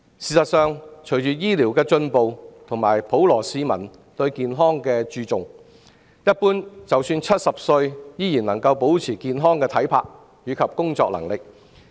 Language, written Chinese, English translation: Cantonese, 事實上，隨着醫療進步及普羅市民日益注重健康，一般人即使到了70歲，依然能保持健康體魄及工作能力。, In fact with medical advances and enhanced health awareness among the public people are in general physically fit and capable to work till 70